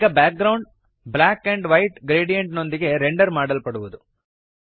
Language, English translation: Kannada, Now the background will be rendered with a black and white gradient